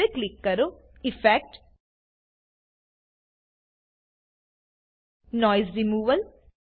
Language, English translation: Gujarati, Now click on Effect gtgt Noise Removal